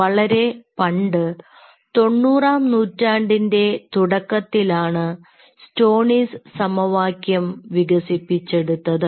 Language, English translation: Malayalam, stoneys equation was developed long time back summer, early nineties, ninetieth century